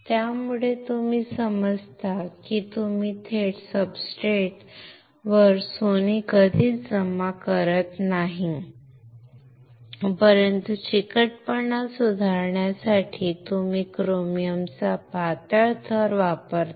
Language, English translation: Marathi, So, you understand that you never deposit gold directly on the substrate, but you use a thin layer of chromium to improve the adhesion